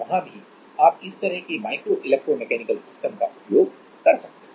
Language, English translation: Hindi, So, there also you can use this kind of micro electro mechanical systems